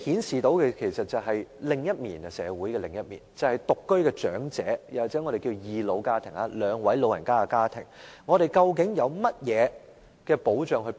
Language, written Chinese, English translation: Cantonese, 這其實顯示社會的另一面，便是獨居長者又或我們稱為"二老家庭"，即兩位長者組成的家庭的情況。, This actually reveals another side of society about elderly who live on their own or the two - person elderly households as referred to by us which means a household consisting of two elderly persons